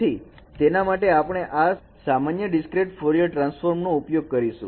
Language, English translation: Gujarati, So, for that we will be using this generalized discrete Fourier transform